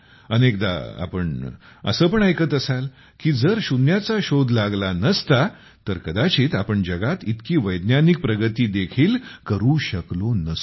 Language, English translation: Marathi, Often you will also hear that if zero was not discovered, then perhaps we would not have been able to see so much scientific progress in the world